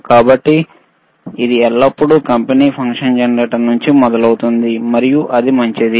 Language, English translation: Telugu, So, it always starts from the company function generators and that is fine